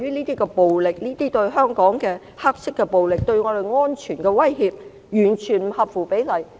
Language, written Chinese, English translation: Cantonese, 這些暴力——香港的黑色暴力——以及對我們造成的安全威脅，完全不合乎比例。, Such violence the black violence in Hong Kong and the security threat to us are totally disproportionate